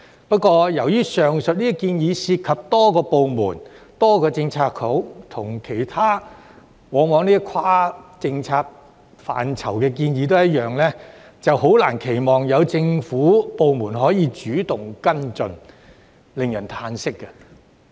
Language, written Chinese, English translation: Cantonese, 不過，由於上述的建議涉及多個部門、多個政策局，往往與其他跨政策範疇的建議一樣，難以期望有政府部門會主動跟進，令人嘆息。, However as the aforesaid proposals involve several departments and Policy Bureaux it is often difficult to expect the government departments to take active follow - up actions as in the case of other proposals straddling different policy areas . This is disappointing